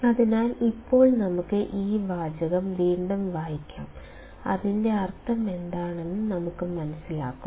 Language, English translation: Malayalam, So, now let us read this sentence once again and we will understand what does it mean